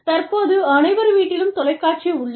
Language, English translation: Tamil, And, these days, every house has a TV